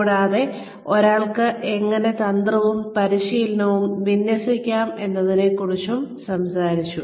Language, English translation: Malayalam, And, we had also talked about, how one can align strategy and training